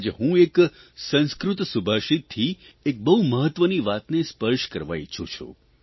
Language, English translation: Gujarati, Today I want to touch upon a very important point from a Sanskrit Subhashit